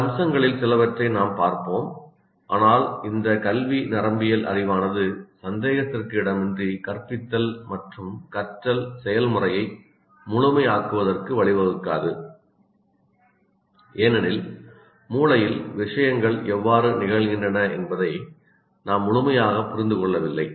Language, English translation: Tamil, But the knowledge of this neuroscience, educational neuroscience is certainly not going to lead to making teaching and learning process a perfect one because we are far from fully understanding how things happen in the brain